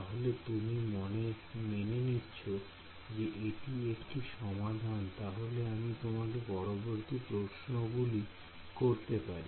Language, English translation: Bengali, So, you agree that this is a solution now let me ask you the following question